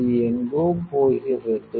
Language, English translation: Tamil, This is going somewhere